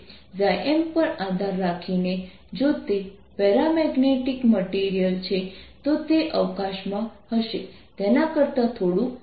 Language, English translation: Gujarati, if it is a paramagnetic material, it will be slightly larger than it will be in free space